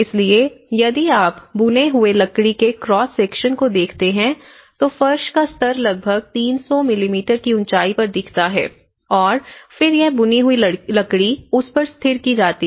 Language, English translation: Hindi, So, if you look at the cross section of the woven timber, so this is how it looks where you have the floor level and about 300 mm height and then this woven timber is fixed upon it